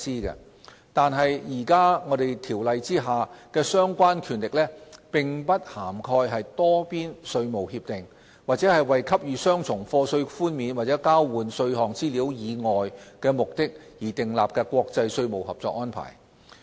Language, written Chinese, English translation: Cantonese, 然而，現行條例下的相關權力並不涵蓋多邊稅務協定，或為給予雙重課稅寬免和交換稅項資料以外目的而訂立的國際稅務合作安排。, However the relevant power under the current ordinance covers neither multilateral tax agreements nor international tax cooperation arrangements for purposes other than affording relief from double taxation and exchange of information in relation to tax